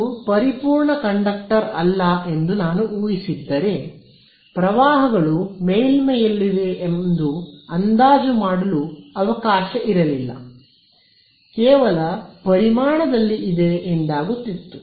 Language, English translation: Kannada, Then if I made the further assumption that it is not a perfect conductor, then I can no longer make the approximation that the currents are on the surface, but there living in the volume right